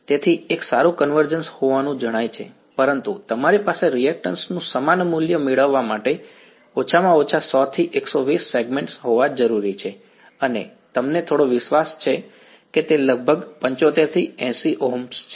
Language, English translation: Gujarati, So, there seems to be a good convergence, but you need to have at least about 100 to 120 segments to get the same value of resistance right and you have some confidence that it's about 75 to 80 Ohms